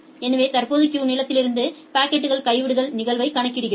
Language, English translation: Tamil, So, we have to calculate the packet dropping probability here